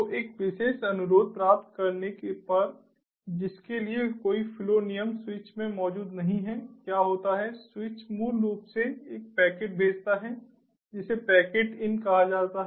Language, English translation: Hindi, so, on receiving a particular request for which no flow rule is present in the switch, so what happens is the switch basically sends a packet which is called the packet in